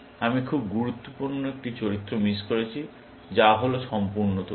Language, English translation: Bengali, I missed out one very important characteristic; which is complete information